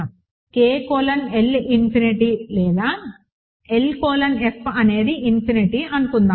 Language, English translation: Telugu, Suppose, K colon L is infinity or L colon F is infinity